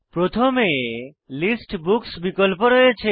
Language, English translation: Bengali, First, we have the option List Books